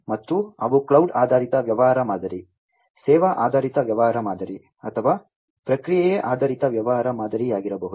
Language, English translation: Kannada, And they could be cloud based business model, service oriented business model or process oriented business model